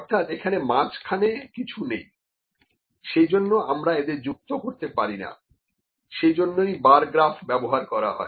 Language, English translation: Bengali, So, there is nothing in between that is why we do not connect these, so that is why this just bar graph is used, ok